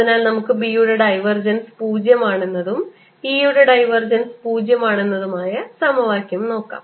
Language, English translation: Malayalam, so let's look at the equation: divergence of b is zero and divergence of e is zero